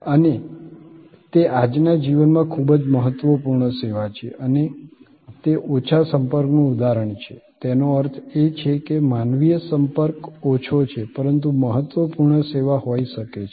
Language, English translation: Gujarati, And, but it is a very important service in the life of today and that is an example of low contact; that means, low human contact, but could be important service